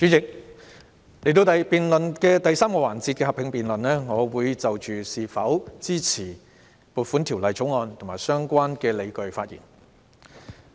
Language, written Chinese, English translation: Cantonese, 主席，現在是財政預算案第3個環節的合併辯論，我會就是否支持《2020年撥款條例草案》及相關理據發言。, Chairman this is the joint debate on the Budget in the third session . I will speak on whether I support the Appropriation Bill 2020 and the relevant justifications